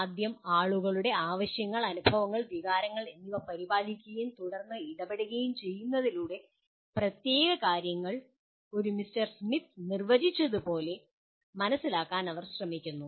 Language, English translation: Malayalam, First attending to people’s needs, experiences and feelings and then intervening so that they learn particular things, whatever that are identified as stated by one Mr